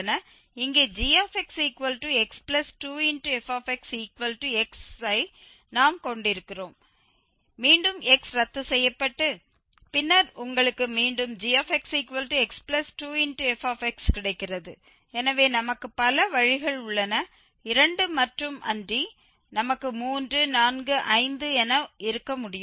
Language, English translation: Tamil, So, there are various ways to define this here we have like x is equal to gx so x plus 2 fx, again x x gets cancel and then you will get again fx is equal to 0 so several ways not only 2 we can have 3, 4, 5 whatever